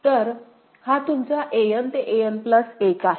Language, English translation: Marathi, So, this is your An to An plus 1 that we have to consider